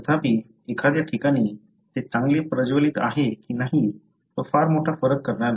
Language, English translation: Marathi, However in a, in a place whether it is well lit, it is not going to make a big difference